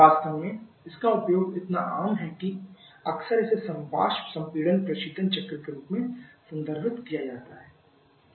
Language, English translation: Hindi, In fact, it its uses so common that quite often this is the one that is referred as a vapour compression Refrigeration cycle only